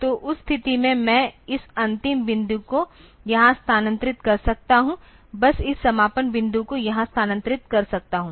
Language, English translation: Hindi, So, in that case I can just shift this end point to here just shift this endpoint to here